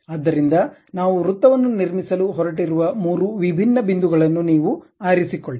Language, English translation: Kannada, So, you pick three different points around which we are going to construct a circle